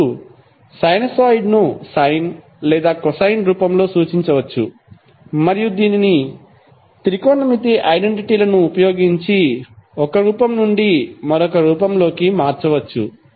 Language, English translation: Telugu, Now, sinusoid can be represented either in sine or cosine form and it can be transformed from one form to other from using technometric identities